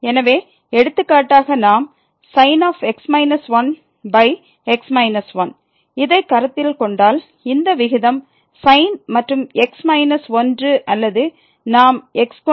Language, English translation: Tamil, So, for example, if we consider this minus 1 over minus this ratio of and minus or we can consider like square minus over x minus